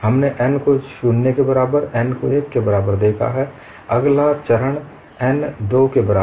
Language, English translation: Hindi, We have seen n equal to 0, n equal to 1, the next step is n equal to 2